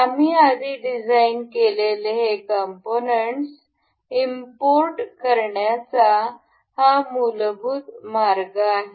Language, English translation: Marathi, This is the basic way to import these parts that we have designed earlier